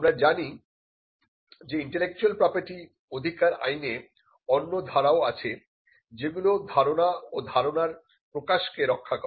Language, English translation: Bengali, We know that there are other forms of intellectual property rights which protect, which protect ideas and expressions of ideas